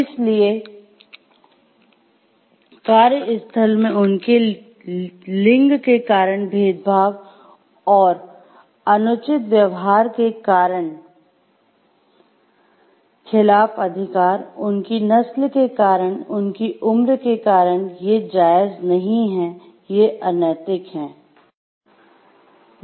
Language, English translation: Hindi, So, right against discrimination and fair treatment in the workplace, because of their gender, because their race or because of their age, these are not like permissible, these are unethical